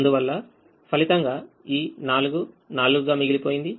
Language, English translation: Telugu, so that resulted in this four remaining as four